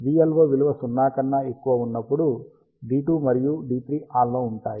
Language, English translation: Telugu, And v LO is less than 0, D 1 and D 4 will be on